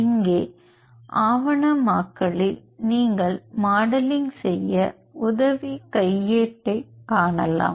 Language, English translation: Tamil, And in the documentation you can see the help manual to perform the modeling